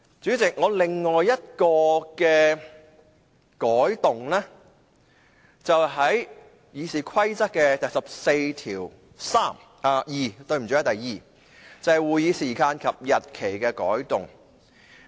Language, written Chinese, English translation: Cantonese, 主席，我另一項修正案是有關《議事規則》第142條，關於會議時間及日期的改動。, President my other amendment concerns RoP 142 which seeks to amend the days and hours of meetings